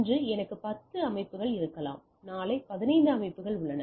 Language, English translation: Tamil, So, today I may have 10 systems, tomorrow I have 15 systems